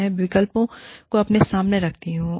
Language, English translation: Hindi, I way the options, in my head